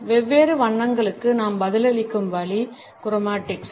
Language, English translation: Tamil, Chromatics is the way we respond to different colors